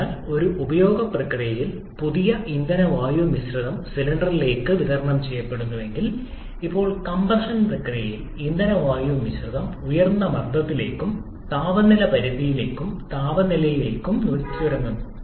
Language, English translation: Malayalam, So, during an intake process if fresh fuel air mixture is supplied to the cylinder, now during the compression process, the fuel air mixture is compressed to a high pressure and temperature limit or temperature level